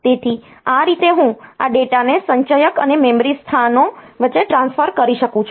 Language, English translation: Gujarati, So, this way I can have this data transferred between accumulator and memory locations